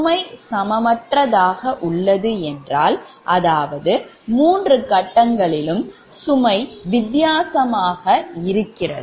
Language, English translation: Tamil, so loads are unbalanced means that i mean all the three phase loads may be different